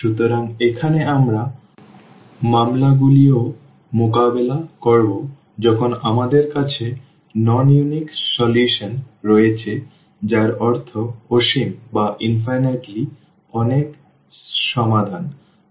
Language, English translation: Bengali, So, here we will be also dealing the cases when we have non unique solutions meaning infinitely many solutions or the system does not have a solution